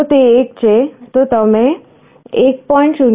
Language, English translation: Gujarati, 0, if it is 2 it is 0